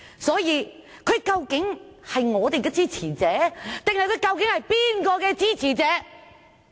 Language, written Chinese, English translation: Cantonese, 所以，他究竟是我們的支持者，還是哪一方的支持者？, Does Mr POON support us or which side does he really support?